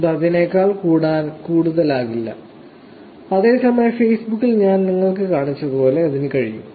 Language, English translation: Malayalam, It cannot be more than that, whereas in Facebook it can be large text as I showed you when I was going on Facebook